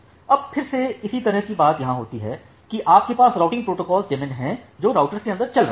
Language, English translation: Hindi, Now again the similar thing happens here that you have the routing protocol daemon which is running inside the routers